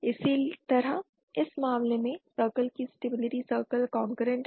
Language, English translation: Hindi, Similarly, in this case the circle the stability circle is concurrent